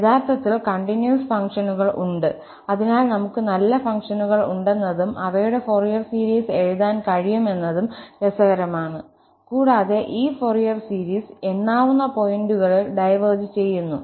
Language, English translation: Malayalam, Indeed, there are continuous functions, so that is again interesting point that we have nice functions and we can write down their Fourier series, and this Fourier series diverges at countable number of points